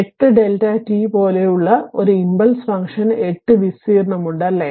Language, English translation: Malayalam, An impulse function like 8 delta t has an area of 8, right